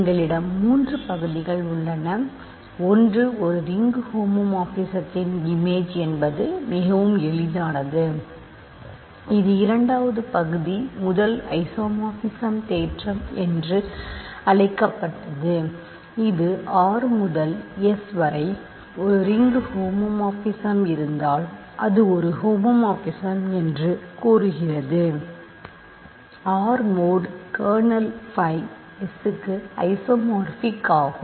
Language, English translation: Tamil, We have three parts there, one is that image of a ring homomorphism is a subring which was fairly easy, second part was called the first isomorphism theorem it says that if you have a ring homomorphism from R to S it is an onto homomorphism